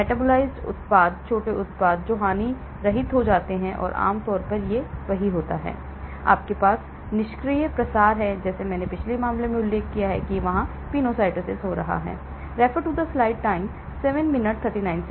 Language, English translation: Hindi, Metabolized products, small products which becomes harmless and generally it is; you have the passive diffusion like I mentioned in the previous case you do not have this , penocytosis taking place here